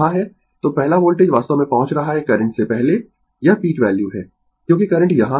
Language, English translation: Hindi, So, first voltage actually reaching it is peak value before current because current is here